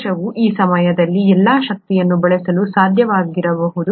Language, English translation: Kannada, The cell may not be able to use all that energy at that time